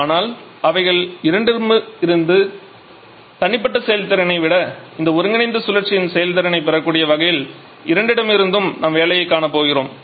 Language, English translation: Tamil, But we are going to get work out from both of them such that we can get efficiency of this combined cycle higher than the individual efficiency for both of them